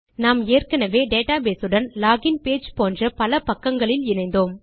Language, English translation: Tamil, We have already connected to the database in several of these pages like the Login page